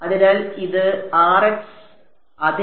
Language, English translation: Malayalam, So, this is Rx yeah